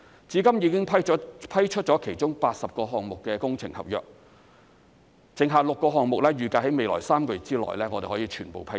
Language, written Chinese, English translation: Cantonese, 至今已批出其中80個項目的工程合約，剩下6個項目預計在未來3個月內可以全部批出。, So far works contracts for 80 projects have been awarded and the remaining six projects are expected to be awarded in the next three months